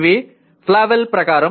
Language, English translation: Telugu, This is as per Flavell